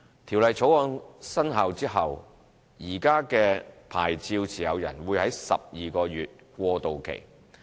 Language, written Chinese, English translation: Cantonese, 《條例草案》生效後，現時的牌照持有人會有12個月過渡期。, We have put in place a transitional period of 12 months after the commencement of the amended Ordinance for existing licensees